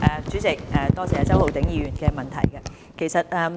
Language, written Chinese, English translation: Cantonese, 主席，多謝周浩鼎議員的補充質詢。, President I thank Mr Holden CHOW for the supplementary question